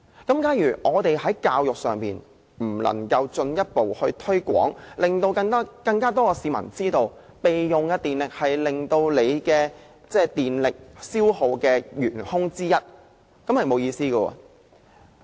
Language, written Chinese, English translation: Cantonese, 假如我們未能做好公眾教育，令更多市民知道備用狀態是電力消耗的原兇之一，便沒有意義。, It will be meaningless if we fail to do a proper job of public education and make more people realize that standby power consumption is one of the culprits in electricity consumption